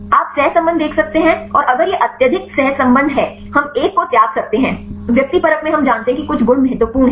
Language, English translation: Hindi, You can see the correlation and if it is highly correlated; we can discard one, in the subjective one we know some properties are important